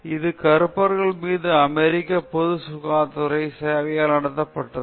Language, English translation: Tamil, And it was conducted by the US public health service on the blacks